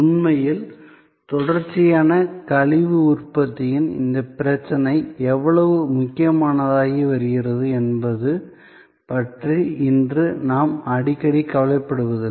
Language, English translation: Tamil, And really, we do not know today we often do not thing about how critical this problem of continuous waste generation is becoming